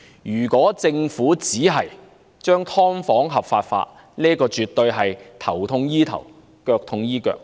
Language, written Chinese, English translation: Cantonese, 如果政府只是將"劏房"合法化，這絕對是"頭痛醫頭，腳痛醫腳"的做法。, If the Government simply legalizes subdivided units this is definitely a mere piecemeal remedy